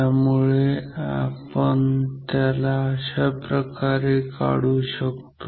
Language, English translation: Marathi, So, we can remove it like this